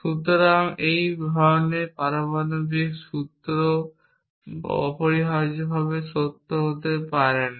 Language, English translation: Bengali, So, such a atomic formula can never be true essentially